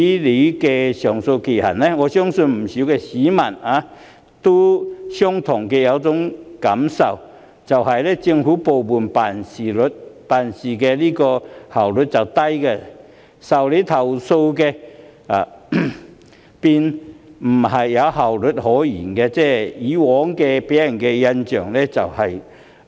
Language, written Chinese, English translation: Cantonese, 我相信不少市民也有同感，那就是政府部門辦事效率低，在處理投訴方面，更沒效率可言，一直給人效率極低的印象。, I believe that many members of the public share the same feeling that is the work efficiency of government departments has been quite low and efficiency is even out of the question when it comes to handling complaints hence always giving people the impression of extremely low efficiency